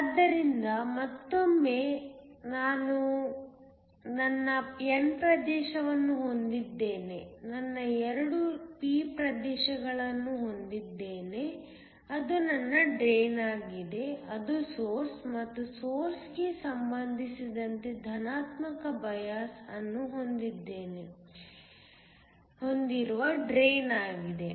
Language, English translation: Kannada, So, Again, I have my n region, I have my 2 p regions, that is my drain, that is the source and the drain that is positively biased with respect to the source